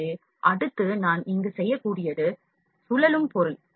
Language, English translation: Tamil, So, next I can do here is rotate object